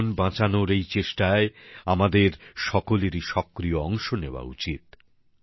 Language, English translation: Bengali, We should all become active stakeholders in these efforts to save lives